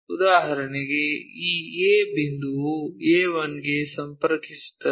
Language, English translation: Kannada, So, for example, this point A, goes connects to this A 1